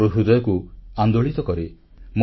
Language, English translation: Odia, They agitate my heart